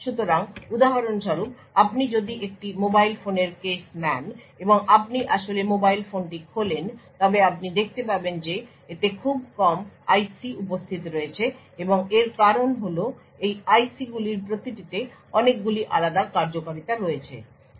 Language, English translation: Bengali, So for example if you take the case of a mobile phone and you actually open up your mobile phone you would see that there are very few IC’s present on it and the reason being is that each of this IC’s have a lot of different functionality